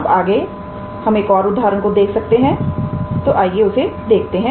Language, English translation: Hindi, Next we can see an another example, let us see that